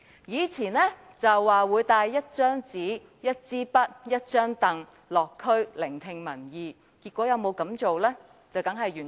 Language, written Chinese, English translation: Cantonese, 梁特首曾說會帶一張紙、一支筆和一張椅子落區聆聽民意，但他結果有否這樣做？, Chief Executive LEUNG Chun - ying once said that he would visit the districts to listen to peoples opinions bringing along a piece of paper a pencil and a folding stool . Has he done so? . Of course not